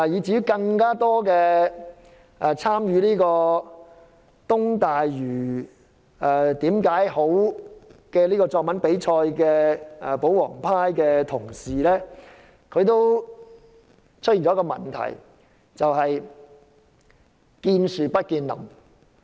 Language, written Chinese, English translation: Cantonese, 參加"支持'明日大嶼'的10個理由"作文比賽的保皇派同事，都有一個問題，就是見樹不見林。, The royalist colleagues who have entered the essay competition with the title Ten Reasons for Supporting Lantau Tomorrow all make the same mistake which is they cannot see the wood for the trees